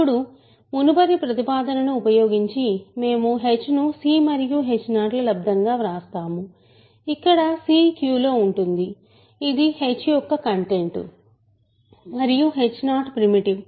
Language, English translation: Telugu, Now using the previous proposition, we write h as c times h 0 where c is in Q which is the content of h and h 0 is primitive